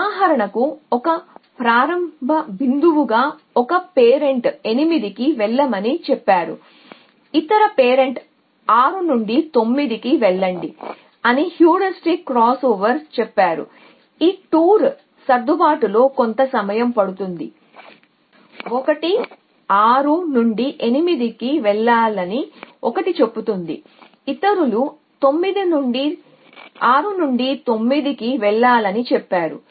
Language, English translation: Telugu, For example, as a starting point 1 parent says go to 8 the other parent says go to 9 from 6 the heuristic crossover says that take the short a of the 2 adjust so 1 says go from 6 to 8 1 goes other says go to 6 to 9